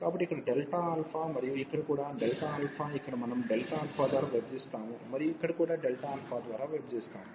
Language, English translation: Telugu, So, here delta alpha, and here also this delta alpha, here we will divide by delta alpha, and here also we will divide by delta alpha